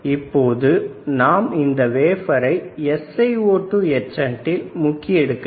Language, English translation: Tamil, Now what we had to do we had to dip this wafer in SiO2 etchant